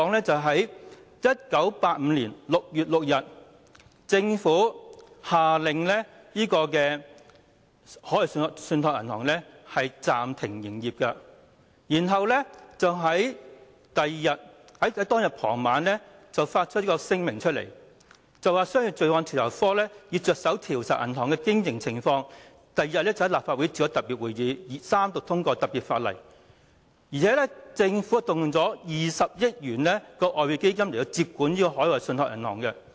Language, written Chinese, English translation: Cantonese, 在1985年6月6日，政府下令海外信託銀行暫停營業，並在當日傍晚發出聲明，指商業罪案調查科已着手調查銀行的經營情況，並於翌日召開立法局特別會議，三讀通過特別法例，而且政府更動用了20億元外匯基金來接管海外信託銀行。, On 6 June 1985 the Government ordered the Overseas Trust Bank OTB to suspend operation and issued a statement in the evening the same day to the effect that the Commercial Crime Bureau had commenced an investigation into OTBs operation and a special meeting would be held at the then Legislative Council the next day to pass a special Bill through three Readings . Besides the Government even acquired OTB with 2 billion from the Exchange Fund